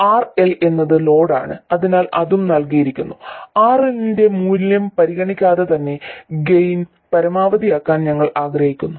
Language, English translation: Malayalam, And RL is the load, so this is also given and regardless of the value of RL we would like to maximize the gain